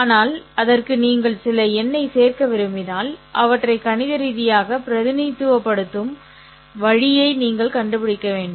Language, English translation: Tamil, But if you want to, you know, give some numbers to that, then you have to find a way of representing them mathematically